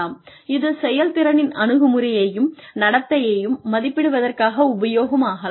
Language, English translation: Tamil, But, it could be used for, assessing attitude, and the behavioral aspects of performance